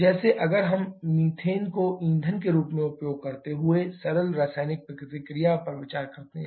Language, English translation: Hindi, Like if we consider simple chemical reaction using methane as a fuel